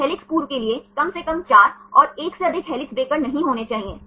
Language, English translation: Hindi, So, at least 4 for helix formers and there should be not more than 1 helix breaker